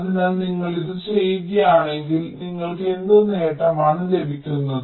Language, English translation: Malayalam, so if you do this, what advantage you are getting